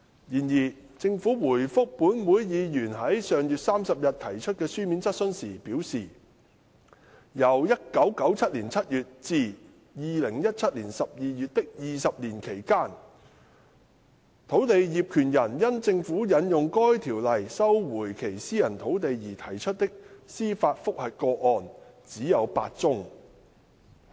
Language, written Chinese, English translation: Cantonese, 然而，政府回覆本會議員於上月30日提出的書面質詢時表示，由1997年7月至2017年12月的20年期間，土地業權人因政府引用該條例收回其私人土地而提出的司法覆核個案只有8宗。, However in reply to a written question raised by a Member of this Council on the 30 of last month the Government indicated that over the past two decades from July 1997 to December 2017 there were only eight judicial review cases lodged by landowners arising from the Governments invocation of the Ordinance for resumption of their private lands